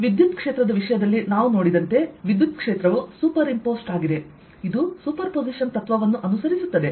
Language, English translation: Kannada, as we saw in the case of electric field, electric field is superimposed, right it ah follows the principle of superposition